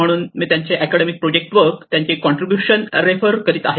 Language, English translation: Marathi, So I will be referring to their contributions on their academic work also the project work